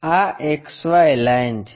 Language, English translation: Gujarati, This is the XY line